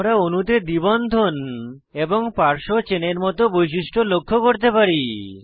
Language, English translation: Bengali, We can highlight the features like double bond and side chain in the molecule